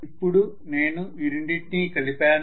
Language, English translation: Telugu, So I have added those two